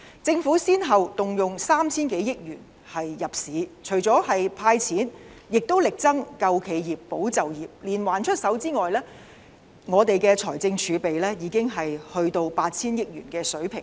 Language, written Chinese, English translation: Cantonese, 政府先後動用 3,000 多億元入市，除了"派錢"，也力爭"救企業，保就業"，連環出手之外，我們的財政儲備已經降至 8,000 億元的水平。, The Government has spent 300 billion on relief measures . Besides handing out cash it has been striving to bail businesses out and safeguard jobs . After launching a host of measures our fiscal reserves have dropped to 800 billion